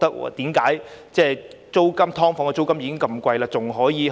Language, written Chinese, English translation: Cantonese, "劏房"的租金已經很貴，為何還可以有這個加幅？, Given that the rent of subdivided units is already very high why should this rate of increase be allowed?